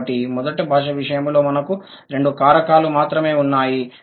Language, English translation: Telugu, So, in case of the first language, we had only two factors